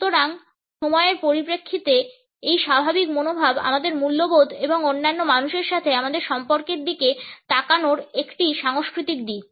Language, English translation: Bengali, So, this laid back attitude in terms of time is a cultural aspect of looking at our values and our relationships with other people